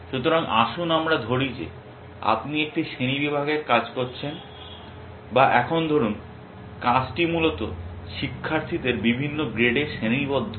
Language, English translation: Bengali, So, let us say you are doing a classification task or let us say now the task is to classify students into grades essentially